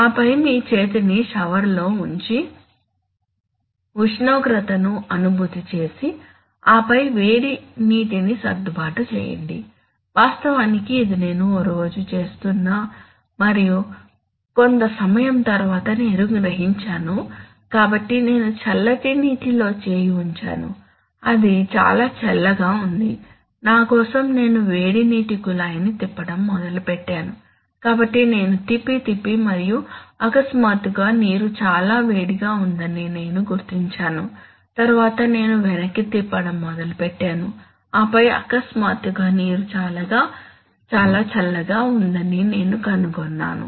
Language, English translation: Telugu, And then put your hand in the shower and feel the temperature and then adjust the hot water, in fact, this is what I was doing one day and after some time I realized, so I put my hand in the coldwater it was too cold for me, so I started turning the hot what a tab, so I was turning, turning, turning and then suddenly I found that the water is too hot and then I started turning back and then suddenly I found that the water is too cold